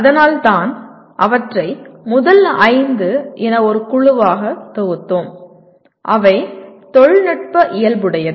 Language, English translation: Tamil, And that is why we grouped them as the first 5 into one group, technical in nature